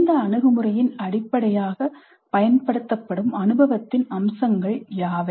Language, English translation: Tamil, What are the features of experience used as the basis of this approach